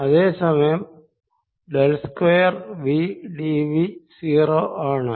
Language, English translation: Malayalam, if i take del square u, v is equal to zero